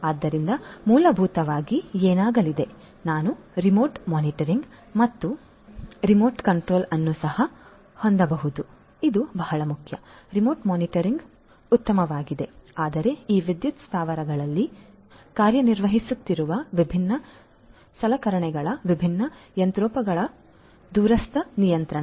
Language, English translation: Kannada, So, essentially what is going to happen is, we can also have remote monitoring and remote control this is very very important remote monitoring is fine, but remote control of the different machinery of the different equipments that are working in these power plants